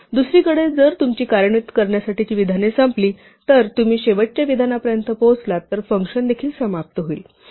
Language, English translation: Marathi, On the other hand if you run out of statements to execute, if you reach the last statement then there is nothing more then also the function will end